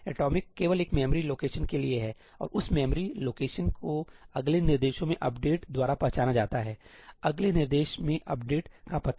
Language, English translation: Hindi, Atomic is only for a memory location and that memory location is identified by the update in the next instruction, address of the update in the next instruction